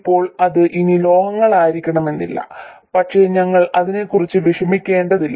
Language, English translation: Malayalam, Now it may not be metal anymore but we won't worry about it